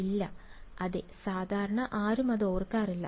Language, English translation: Malayalam, No yeah, no one usually remember it